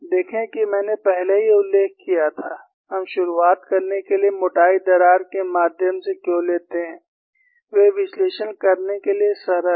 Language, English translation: Hindi, See, I had already mentioned, why we take through the thickness crack to start with is, they are simple to analyze